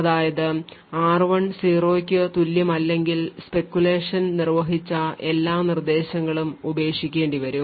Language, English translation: Malayalam, So, as a result if r1 is equal to 0 all the speculatively executed instructions would need to be discarded